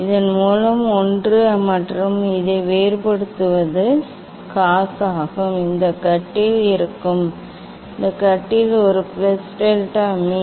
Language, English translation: Tamil, one by this and differentiation of this one is cos it will be cot; it will be cot A plus delta m by 2